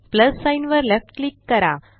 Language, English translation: Marathi, Left click the plus sign